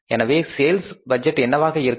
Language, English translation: Tamil, So, what is going to be the sales budget